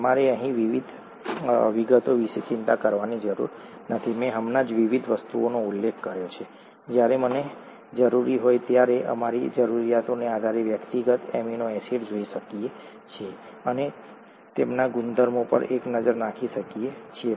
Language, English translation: Gujarati, You donÕt have to worry about the details here, I just mentioned the various things, as and when necessary, we can look at individual amino acids depending on our need, and a look at their properties